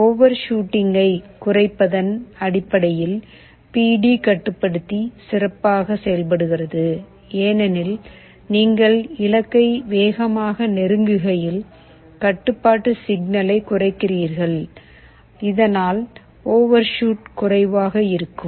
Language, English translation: Tamil, PD controller works better in terms of reducing overshoot because as you are approaching the goal faster, you reduce the control signal so that overshoot will be less